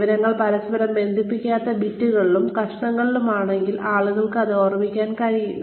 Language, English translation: Malayalam, If the information is in bits and pieces, that are not connected to each other, then people will not be able to remember it